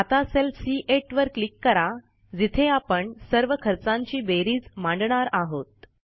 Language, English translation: Marathi, Now lets click on cell number C8 where we want to display the total of the costs